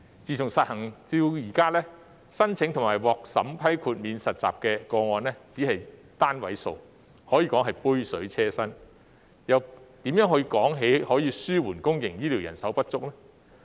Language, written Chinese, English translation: Cantonese, 自實行至今，申請及獲審批豁免實習的個案只是單位數，可說是杯水車薪，又怎談得上紓緩公營醫療人手不足呢？, Since implementation the number of applications made and approved for exemption from internship was only single - digit . It was just like a drop in the bucket . How could it alleviate the manpower shortage in public healthcare?